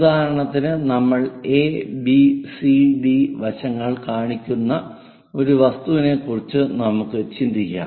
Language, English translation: Malayalam, For example, let us consider an object which we are showing a, maybe b, c, d